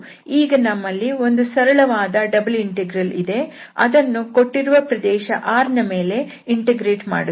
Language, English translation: Kannada, So we have the simple double integral which has to be evaluated over this given region R